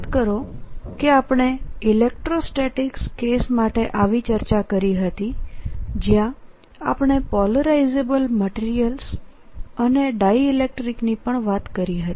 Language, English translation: Gujarati, recall that we had we have had such a discussion for the electrostatic case, where we talked about polarizable materials and also dielectrics